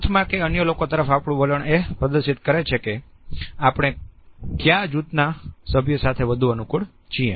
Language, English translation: Gujarati, In a group situation our orientation towards other people also displays with which group member we are more comfortable